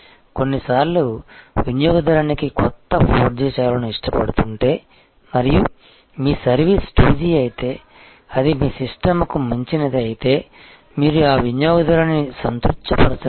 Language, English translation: Telugu, Sometimes it may be beyond the if the customer is very much liking the new 4G service and your service is 2G then it is beyond your system, you cannot satisfied that customer